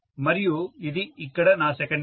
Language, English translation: Telugu, And this is my secondary here